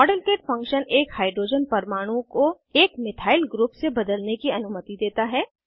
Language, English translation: Hindi, The Modelkit function allows us to substitute a Hydrogen atom with a Methyl group